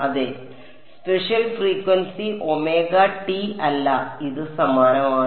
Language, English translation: Malayalam, Yeah, spatial frequency not omega t that this that is the same